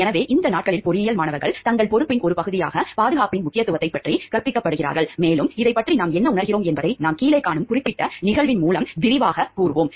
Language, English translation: Tamil, So, these days engineering students are taught about the importance of safety as a part of their responsibility, and what we feel about this will be elaborated by the particular case that we see below